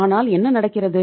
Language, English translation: Tamil, But what is happening